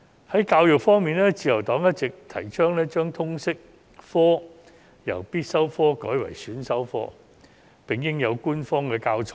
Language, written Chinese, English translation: Cantonese, 在教育方面，自由黨一直提倡把通識科由必修科改為選修科，並應有官方教材。, In respect of education the Liberal Party has all along proposed that Liberal Studies should be changed from a compulsory subject to an elective subject and official teaching materials should be provided